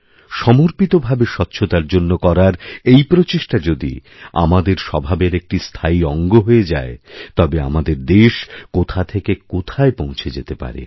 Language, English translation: Bengali, If this committed effort towards cleanliness become inherent to us, our country will certainly take our nation to greater heights